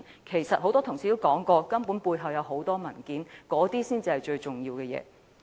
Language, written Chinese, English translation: Cantonese, 事實上，很多同事說過，背後牽涉許多文件，那些文件才是最重要的。, In fact a number of colleagues have said that many documents are involved and those documents are the most important